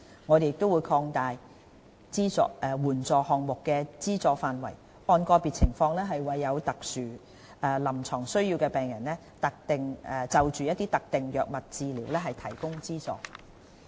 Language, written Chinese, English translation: Cantonese, 我們會擴大援助項目的資助範圍，按個別情況為有特殊臨床需要的病人就特定藥物治療提供資助。, We will also extend the scope of the programme to provide patients with subsidies for specific drug treatments according to individual patients special clinical needs